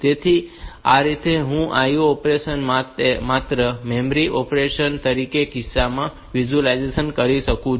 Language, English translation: Gujarati, So, this way I can visualize this IO operation as memory operations only and in that case